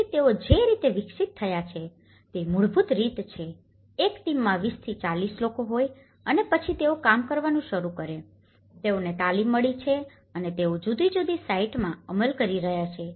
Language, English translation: Gujarati, So, the way they have developed is basically, there is 20 to 40 people in a team and then they start working on, they have been got training and they have been implementing in different sites